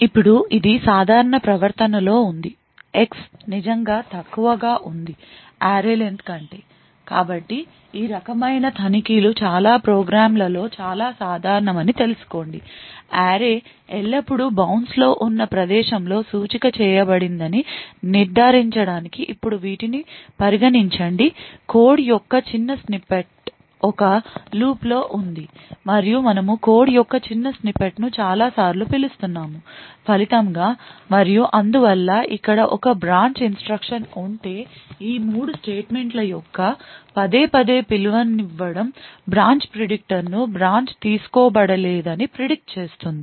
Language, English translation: Telugu, Now this is under the normal behavior when X is indeed less than array len so know that these kind of checks is quite common in lot of programs to ensure that an array is always indexed at the location which is within it's bounce now consider the case that these small snippet of code is in a loop and we are calling the small snippet of code multiple times so as a result we know that if over here and therefore there's a branch instruction this repeated invocation of these 3 statements would actually tune the branch predictor to predict that the branch is not taken